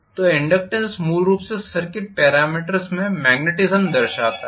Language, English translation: Hindi, So the inductance is basically the representation of the magnetism in circuit parameters